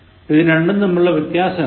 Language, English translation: Malayalam, What is the difference between these two